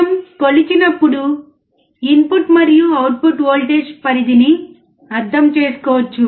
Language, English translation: Telugu, When we measure, we can understand the input and output voltage range